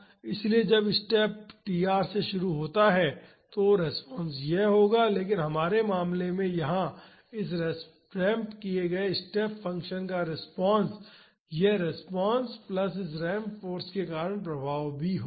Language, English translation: Hindi, So, when the step starts at tr the response will be this, but in our case here the response of this ramped step function will be this response plus the effects due to this ramp force